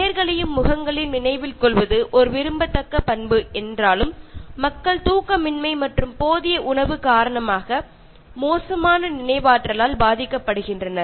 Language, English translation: Tamil, Although remembering names and faces is a likeable trait, people suffer from poor memory owing to lack of sleep and inadequate diet